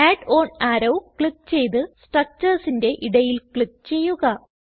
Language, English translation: Malayalam, Now, click on Add an arrow and click between the structures